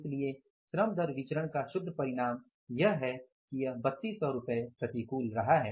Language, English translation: Hindi, So, the net result of the labor rate of pay variance has been that is 3,200 adverse